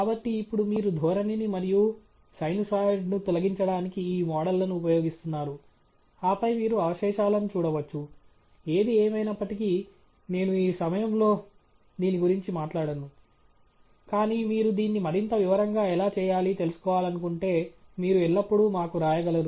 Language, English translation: Telugu, So, now, you use these models to remove the trend and the sinusoid, and then you can see the residuals, which of course, I won’t go through at this moment, but you can always write to us if you want know how to do it in more detail